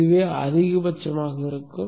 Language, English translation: Tamil, This would be the max